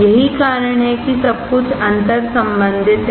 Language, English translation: Hindi, That is why everything is interrelated